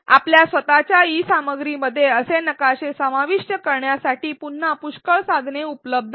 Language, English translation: Marathi, Again there are several tools available to incorporate such maps within your own e learning content